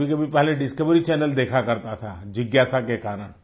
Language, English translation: Hindi, Earlier I used to watch Discovery channel for the sake of curiosity